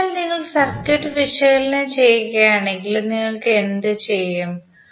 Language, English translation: Malayalam, So, if you see the circuit and analyse, what you will do